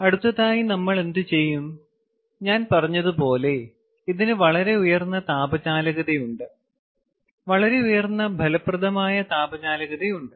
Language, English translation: Malayalam, ok, so next what we will do is: ah, this is a very, has i said this is a very high thermal conductivity, extremely high effective thermal conductivity